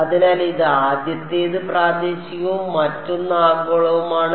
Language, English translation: Malayalam, So, this was the first one was local the other one was global